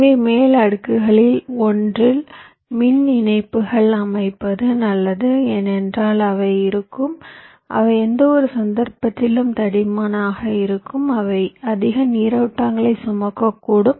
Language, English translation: Tamil, so it is better to layout the power lines on one of the top layers because they will be, they will be thicker in any case, they can carry more currents